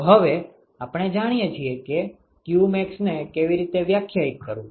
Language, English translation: Gujarati, So now, we know how to define qmax